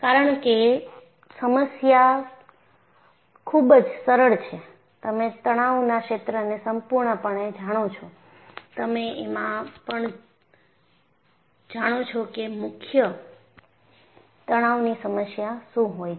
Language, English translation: Gujarati, Because the problem is so simple, completely the stress field you also know what is the definition of a principle stress